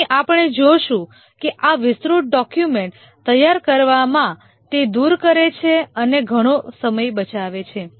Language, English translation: Gujarati, Here we will see that it does away in preparing these elaborate documents and saves lot of time